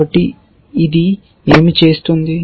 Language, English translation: Telugu, So, what is this doing